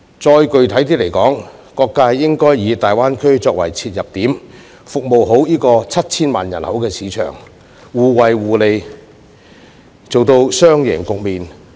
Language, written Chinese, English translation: Cantonese, 更具體而言，各界應該以大灣區作為切入點，服務好這個有 7,000 萬人口的市場，互惠互利，做到雙贏的局面。, More specifically various sectors should take the Greater Bay Area GBA as an entry point and serve this market of 70 million people well so as to reap mutual benefits and achieve a win - win situation